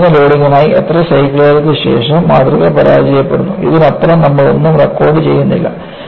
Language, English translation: Malayalam, For a given loading, after how many cycles, the specimen fails; you do not record anything beyond this